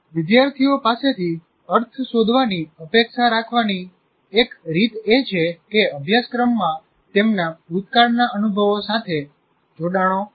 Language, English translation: Gujarati, And one of the ways we expect students to find meaning is to be certain that the curriculum contains connections to their past experiences